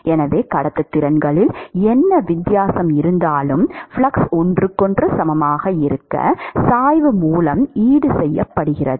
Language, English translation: Tamil, So, whatever is the difference in the conductivities will be offset by the gradient for the flux to be equal to each other